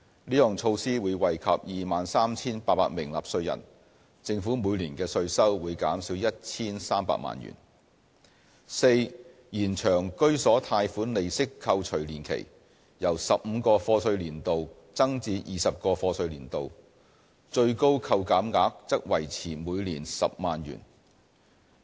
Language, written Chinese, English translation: Cantonese, 這項措施會惠及 23,800 名納稅人，政府每年的稅收會減少 1,300 萬元； d 延長居所貸款利息扣除年期，由15個課稅年度增至20個課稅年度，最高扣減額則維持每年10萬元。, This measure will benefit 23 800 taxpayers and reduce tax revenue by 13 million a year; d extending the entitlement period for home loan interest deduction from 15 years to 20 years while maintaining the current deduction ceiling of 100,000 a year